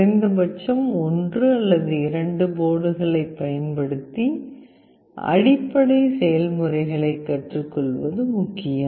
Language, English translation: Tamil, It is important to learn the concept using at least one or two boards, such that you know the basic process